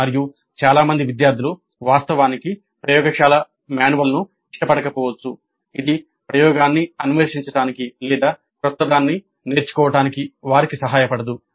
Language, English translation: Telugu, And many of the students actually may not like that kind of laboratory manual which does not help them to explore experiment or learn anything new